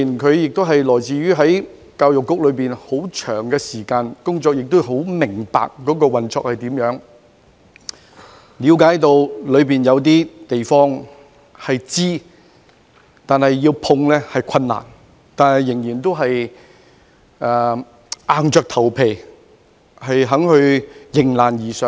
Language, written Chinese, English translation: Cantonese, 他在教育局工作了很長時間，十分明白局內的運作，亦了解當中存在一些難以觸碰的問題，但他仍然願意硬着頭皮迎難而上。, Given his long service in the Education Bureau he knows well about not only its operation but also some untouchable issues . Yet he was willing to rise up to challenges and overcome them